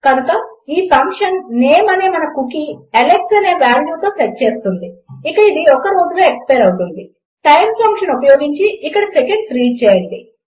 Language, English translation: Telugu, So this function will set our cookie called name with a value of Alex and it will expire in a day read in seconds using the time function here